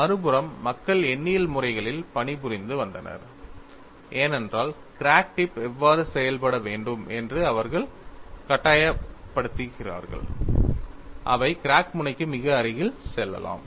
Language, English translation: Tamil, On the other hand, people were working on numerical methodologies, because they force how the crack tip to behave; they can go very close to the crack tip